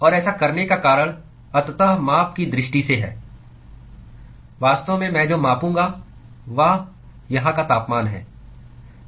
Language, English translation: Hindi, And the reason for doing that is ultimately, from measurement point of view in fact is what I would measure is the temperature here and temperature here